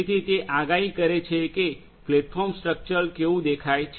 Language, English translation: Gujarati, So, this is how this predicts platform structural looks like